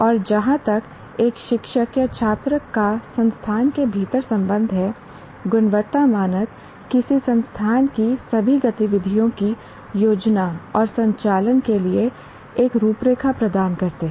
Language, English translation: Hindi, And as far as the teacher or a student is concerned within an institute, the quality standards provide a framework for planning and conducting all activities of an institution